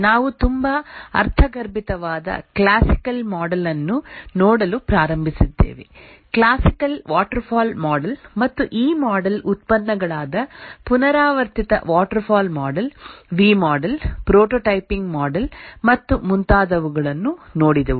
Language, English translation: Kannada, We had started looking at the classical model which is very intuitive, the classical waterfall model and the derivatives of this model, namely the iterative waterfall model, looked at the V model, prototyping model, and so on